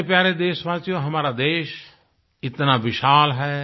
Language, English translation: Hindi, My dear countrymen, our country is so large…so full of diversity